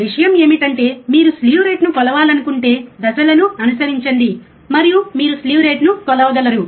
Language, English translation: Telugu, But the point is, you if you want to measure slew rate follow the steps and you will be able to measure the slew rate